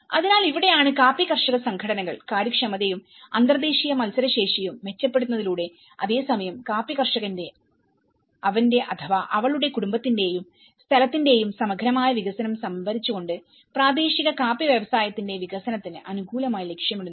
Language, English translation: Malayalam, So, this is where the coffee growers organizations, they actually aim to favour the development of the local coffee industry through the improvement of efficiency of and international competitiveness and procuring at the same time the integral development of the coffee grower his/her family and the region